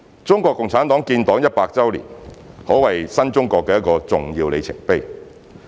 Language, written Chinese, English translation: Cantonese, 中國共產黨建黨一百年，可謂新中國的一個重要里程碑。, The centenary of the founding of CPC is indeed a major milestone of the new China